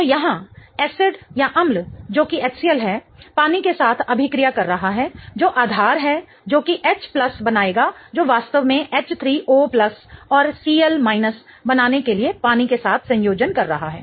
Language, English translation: Hindi, So, herein acid which is that of HCL is reacting with water which is a base in order to form H plus which is really combining with water to form H3O plus and CL minus